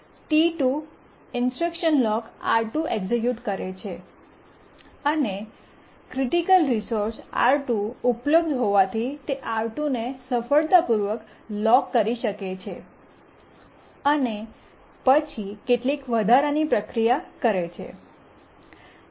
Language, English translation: Gujarati, T2 it executes the instruction lock R2 and since the critical resource R2 is available it can successfully lock R2 and then it does some extra processing, some other processing it does